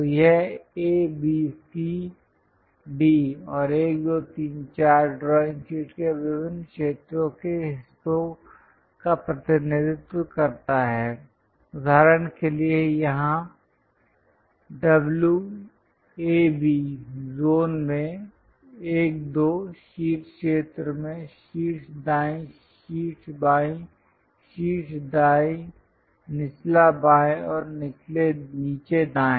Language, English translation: Hindi, So, this A B C D 1, 2, 3, 4 represents the different areas parts of the drawing sheet for example, here W is in A B zone in 1 2 zone on the top right side top left top right bottom left and bottom right